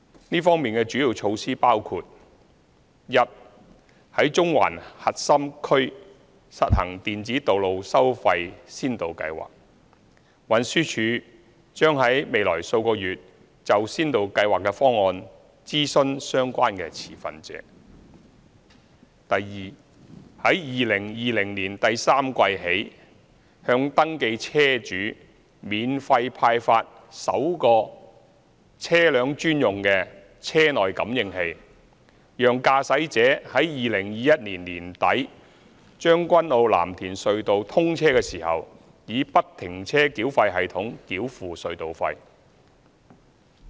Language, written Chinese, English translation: Cantonese, 這方面的主要措施包括：第一，在中環核心區實行電子道路收費先導計劃，運輸署將於未來數月就先導計劃的方案諮詢相關持份者；第二，在2020年第三季起向登記車主免費派發首個車輛專用的車內感應器，讓駕駛者在2021年年底將軍澳―藍田隧道通車時以不停車繳費系統繳付隧道費。, These initiatives include First the Electronic Road Pricing Pilot Scheme will be implemented in the Central Core District . The Transport Department TD will consult relevant stakeholders on the pilot scheme in the coming months; Second in - vehicle units IVUs will be first issued free - of - charge to registered vehicle owners from the third quarter of 2020 to enable toll payment by free - flow tolling system FFTS at Tseung Kwan O―Lam Tin Tunnel in late 2021